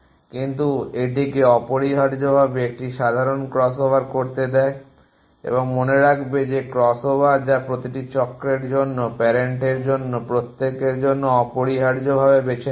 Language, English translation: Bengali, But it at is allows it do a simple crossover of essentially and remember that is crossover as to be done in every cycle for in every of parents at a choose essentially